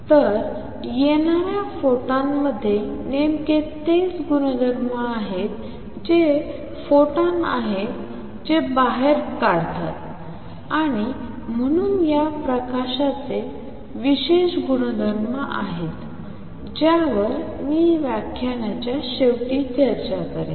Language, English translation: Marathi, So, photon that is coming in has exactly the same properties that is the photon that makes it come out, and therefore, this light has special property which I will discuss at the end of this lecture